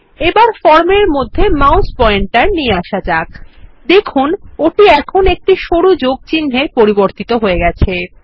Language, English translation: Bengali, And let us move the mouse pointer into the form notice that it has changed to a thin plus symbol